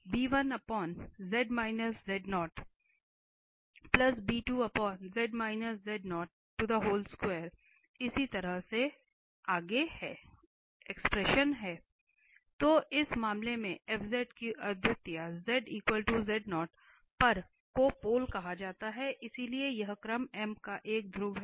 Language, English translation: Hindi, So, in this case the singularity of fz at z equal to z0 is called the pole, so it is a pole of order m